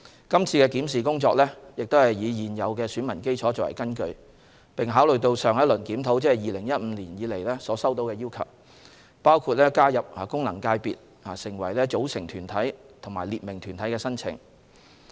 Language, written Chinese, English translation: Cantonese, 今次的檢視工作亦是以現有的選民基礎為根據，並考慮到自上一輪檢討，即2015年以來所收到的要求，包括加入功能界別成為組成團體及訂明團體的申請。, In the same vein this review was conducted on the basis of the existing electorate and with regard to all relevant requests including those for inclusion in FCs as umbrella organizations or specified bodies submitted since the last review in 2015